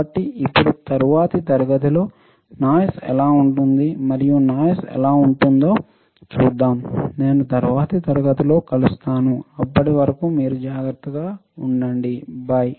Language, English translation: Telugu, So, now, in the next class, let us see how the noise what is noise and what are kind of noises, till then you take care, I will see in the next class, bye